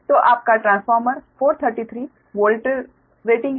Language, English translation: Hindi, so you, the transformer is forty thirty three volt rating